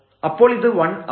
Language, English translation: Malayalam, So, this is 1 here